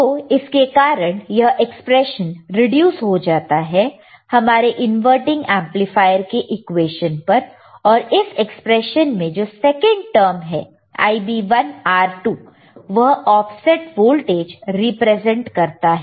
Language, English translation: Hindi, So, the results reduce to expected inverting amplifier equation and second term in the above expression Ib1 R2 Ib1 R2 represents the represents offset voltage you got it